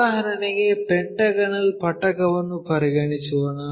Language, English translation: Kannada, For example let us consider pentagonal prism